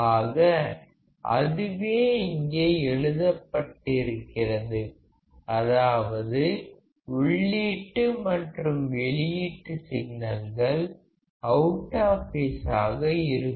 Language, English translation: Tamil, So, that is what is written here, that the input signals and output signals are out of phase